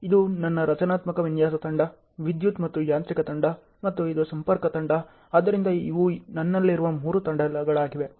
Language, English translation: Kannada, This is my structural design team, electrical and mechanical team and this is my contactor team, so these are the three teams I have